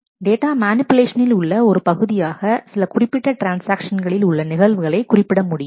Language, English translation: Tamil, As a part of data manipulation it is also possible to specify certain specific transaction events